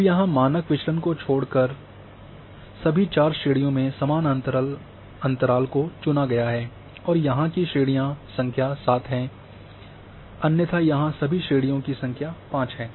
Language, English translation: Hindi, When equal interval has been chosen the number of classes in all four examples except in standard deviation and there are a number of classes are seven otherwise here all number of classes are five